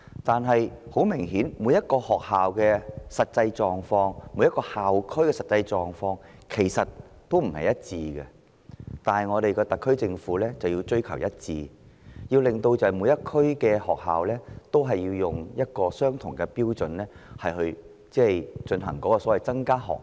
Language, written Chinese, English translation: Cantonese, 不過，每間學校和每個校區的實際狀況顯然並不相同，但我們的特區政府卻追求一致，要求每區的學校以相同標準增加學額。, While the actual circumstances obviously vary between schools and between school districts our SAR Government looks forward to consistency and has asked schools in different districts to increase their places according to the same set of criteria